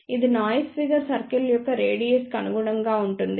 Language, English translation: Telugu, This corresponds to the radius of the noise figure circle